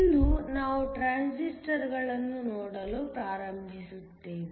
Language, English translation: Kannada, Today, we are going to start looking at Transistors